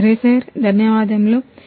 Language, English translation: Telugu, Ok sir, thank you sir